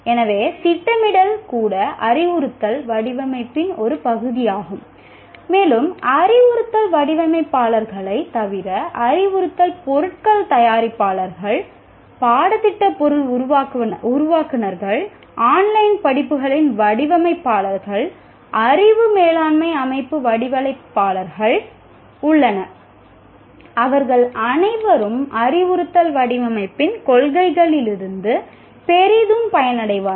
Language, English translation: Tamil, And there are a whole bunch of, besides instruction designers, there are producers of instructional materials, curriculum material developers, designers of online courses, knowledge management system designers, all of them will greatly benefit from the principles of instructional design